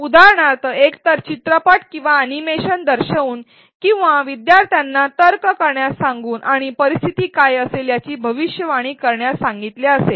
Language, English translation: Marathi, For example: either by showing movies or animation or by asking students to reason and make predictions in what if scenarios